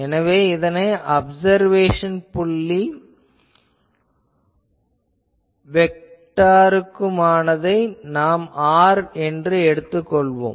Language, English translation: Tamil, So, my source to the observation point vector, let me call capital R